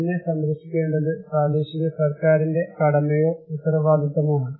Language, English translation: Malayalam, It is the duty or responsibility of the local government to protect me